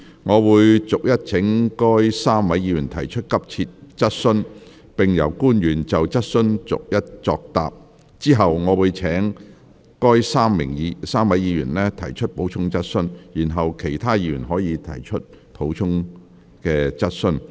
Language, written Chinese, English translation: Cantonese, 我會逐一請該3位議員提出急切質詢，並由官員就質詢逐一作答，之後我會請該3位議員提出補充質詢，然後其他議員可提出補充質詢。, I will call upon the three Members to ask their urgent questions one by one and the public officer to reply to each of the questions . Then I will invite the three Members to ask supplementary questions . Afterwards other Members may ask supplementary questions